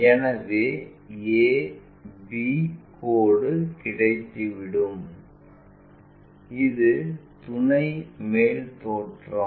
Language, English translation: Tamil, So, we have a line a b line and this is auxiliary top view